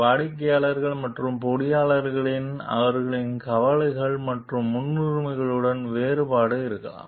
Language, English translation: Tamil, So, there could be a difference in the managers and engineers with their concerns and priorities